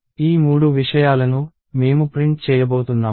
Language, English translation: Telugu, These are three things, we are going to print